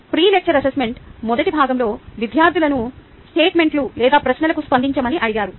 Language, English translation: Telugu, the pre lecture assessment: in first part the students were asked to respond to the statements or questions